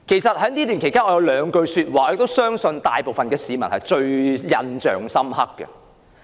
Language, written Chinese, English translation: Cantonese, 在此段期間，局長有兩句說話相信大部分市民都印象深刻。, Recently the public should be quite familiar with two remarks made by Secretary CHAN